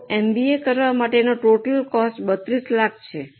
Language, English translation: Gujarati, So total cost of doing MBA is 32 lakhs